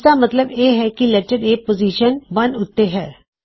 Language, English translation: Punjabi, So actually we are saying letter A is in position one